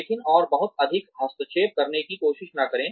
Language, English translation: Hindi, But, do not try and interfere, too much